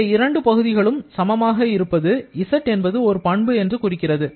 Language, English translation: Tamil, So, these two are equal that means here z is a property